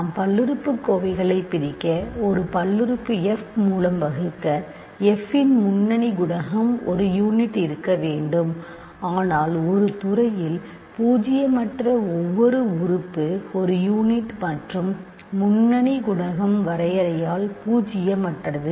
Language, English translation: Tamil, Remember though that to divide polynomials we, to divide by a polynomial f, we need that the leading coefficient of f must be a unit, but in a field every non zero element is a unit and leading coefficient is by definition non zero